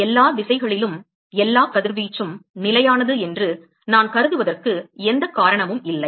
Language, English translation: Tamil, There is no reason why I should assume that all the radiation is constant in all directions